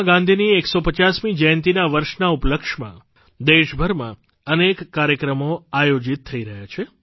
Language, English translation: Gujarati, Many programs are being organized across the country in celebration of the 150th birth anniversary of Mahatma Gandhi